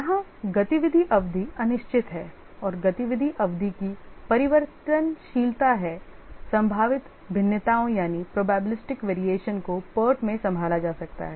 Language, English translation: Hindi, Here the activity durations are uncertain and variability of the activity durations that is probabilistic variations can be handled in part